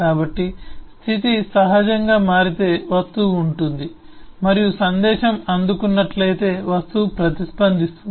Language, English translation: Telugu, so if the state changes, naturally the object will have and if the message have received, the object will react